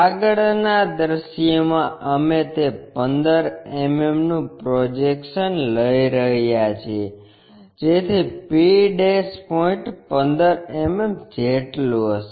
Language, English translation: Gujarati, In the front view we are projecting that 15 mm, so that p' point will be at 15 mm